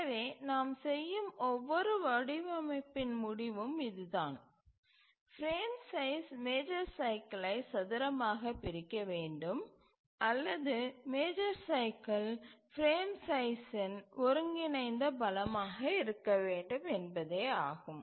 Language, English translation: Tamil, So, in every design that we undertake, we ensure that the frame size squarely divides the major cycle or major cycle is an integral multiple of the frame size